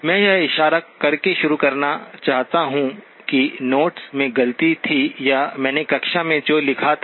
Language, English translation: Hindi, I will like to begin by pointing out that there was a mistake in the notes or what I had written in the class